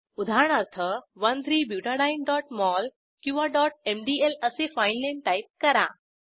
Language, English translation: Marathi, For example, type the filename as 1,3butadiene.mol or .mdl Click on Save button